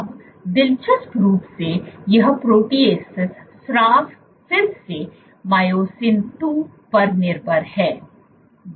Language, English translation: Hindi, Now interestingly this protease secretion is again Myosin 2 dependent